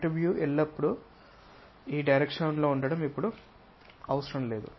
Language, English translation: Telugu, Now it is not necessary that front view always be in this direction